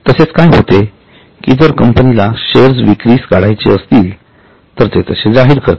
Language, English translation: Marathi, However what happens is if a company wants to issue shares it declares that it is willing to issue shares